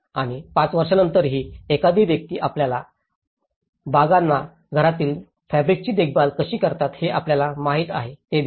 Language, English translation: Marathi, And, even after five years, one can see that you know, how they are able to maintain their gardens the fabric of the house